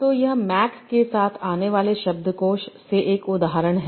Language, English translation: Hindi, So this is an example from the dictionary that comes with Mac